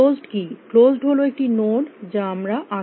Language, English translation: Bengali, Closed is a node that we already seen